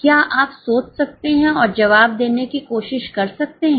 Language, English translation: Hindi, Can you just think and try to answer